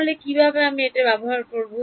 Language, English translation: Bengali, So, how do I deal with it